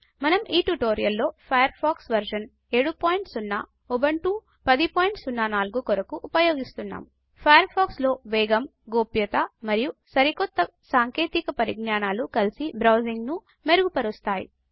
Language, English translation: Telugu, In this tutorial, we will use Firefox version 7.0 for Ubuntu 10.04 Firefox makes browsing better by bringing together speed, privacy and latest technologies